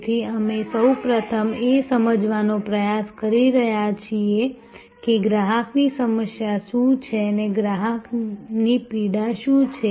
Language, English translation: Gujarati, So, we are trying to first understand, what is the customer problem, what is the customer pain